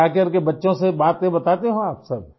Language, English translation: Urdu, So, do you come home and tell your children about that